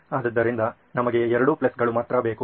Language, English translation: Kannada, So we need both the pluses alone